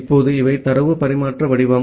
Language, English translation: Tamil, Now, these are the data transfer format